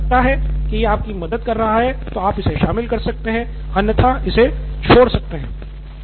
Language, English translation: Hindi, If you think it is helping you, you can add it, otherwise leave that